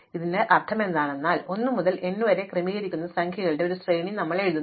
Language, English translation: Malayalam, What this means is, that we will write out a sequence of numbers which is a permutation of 1 to n